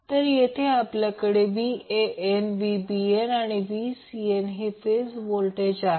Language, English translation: Marathi, So, here we will have phase voltages as Van, Vbn, Vcn